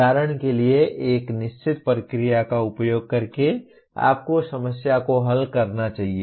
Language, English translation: Hindi, Like for example using a certain procedure you should solve the problem